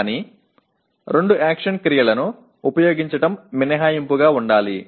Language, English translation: Telugu, But using two action verbs should be an exception